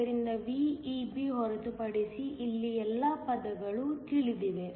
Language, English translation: Kannada, So, all the terms here are known, except VEB